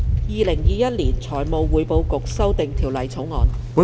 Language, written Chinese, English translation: Cantonese, 《2021年財務匯報局條例草案》。, Financial Reporting Council Amendment Bill 2021